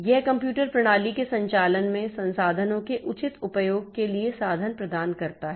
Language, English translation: Hindi, It provides the means for proper use of the resources in the operation of the computer system